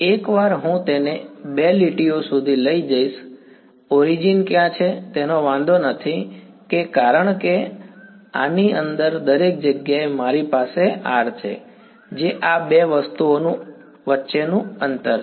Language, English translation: Gujarati, Once I boil it down to two lines it does not matter where the origin is because everywhere inside this over here I have capital R which is the distance between these two